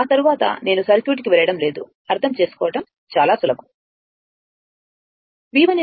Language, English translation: Telugu, After that, I am not going to circuit; very easy to understand